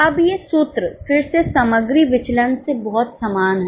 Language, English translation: Hindi, Now these are the formulas again very similar to material variances